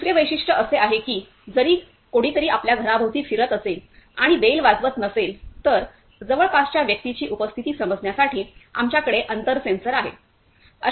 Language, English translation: Marathi, The second feature is even though if somebody is roaming around your house and not clicking the bell, we have a distance sensor to sense the presence of a person nearby